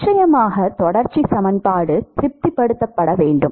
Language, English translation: Tamil, And of course, Continuity equation has to be satisfied